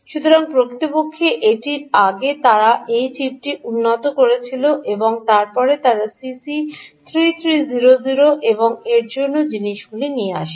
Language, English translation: Bengali, ok, so before it actually ah, they improved this chip and then they brought out c, c, three thousand three hundred and things like that